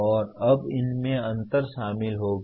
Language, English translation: Hindi, And now these will include differentiate